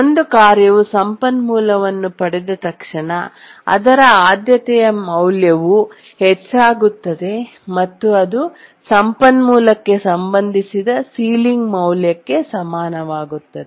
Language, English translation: Kannada, That as soon as a task acquires the resource, its priority, becomes equal to the ceiling value associated with the resource